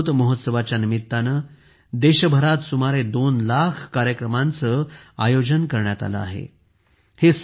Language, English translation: Marathi, About two lakh programs have been organized in the country during the 'Amrit Mahotsav'